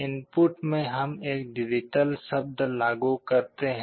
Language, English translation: Hindi, In the input we apply a digital word